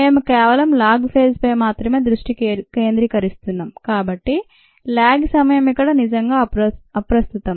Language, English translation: Telugu, since we are concentrating only on the log phase, the lag time is really irrelevant here, we don't have to worry about it